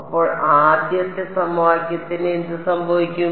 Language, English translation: Malayalam, So, what happens to the first equation